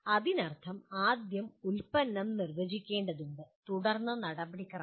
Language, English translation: Malayalam, That means first the product has to be defined and then the process